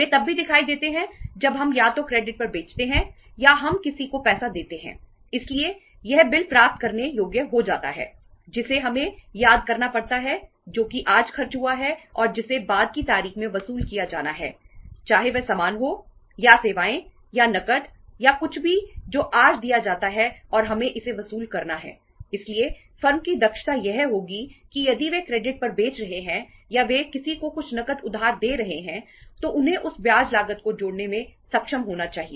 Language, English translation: Hindi, They also appear when we sell either on credit or we give lend money to somebody so it becomes a bill receivable which we have to miss which is the expense incurred today and that has to be recovered at the latter date whether it is a goods or services or cash or anything which is given today and we have to recover it so the firmís efficiency will be that if they are selling on credit or they are if they are lending some cash to somebody they should be able to add up to that the interest cost